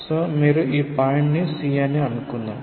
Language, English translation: Telugu, So, you let us say this point is C